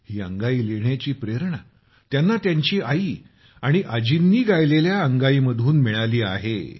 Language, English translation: Marathi, He got the inspiration to write this from the lullabies sung by his mother and grandmother